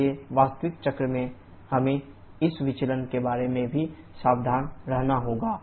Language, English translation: Hindi, So, in real cycle we have to be careful about these deviations also